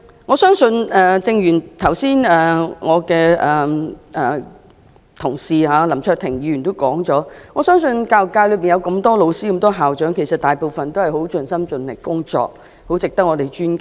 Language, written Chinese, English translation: Cantonese, 我相信正如我的同事林卓廷議員剛才所說，我相信教育界內有這麼多位教師和校長，他們大部分都是很盡心盡力工作，很值得我們尊敬。, I believe just as my colleague Mr LAM Cheuk - ting said earlier most of the teachers and school principals in the education sector are very dedicated to their work and worth our respect